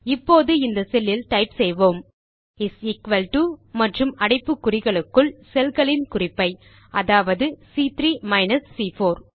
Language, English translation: Tamil, Now in this cell, type is equal to and within braces the respective cell references, that is, C3 minus C4